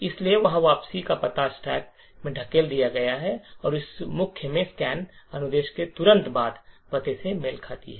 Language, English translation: Hindi, So, there is the return address pushed into the stack this corresponds to the address soon after the scan instruction in the main